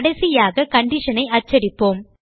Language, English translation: Tamil, So finally, we print the condition